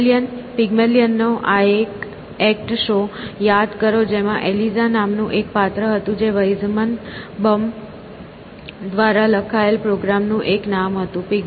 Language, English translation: Gujarati, Pygmalion, remember this one act show of Pygmalion in which there was a character called Eliza which was a name of the program written by Weizenbaum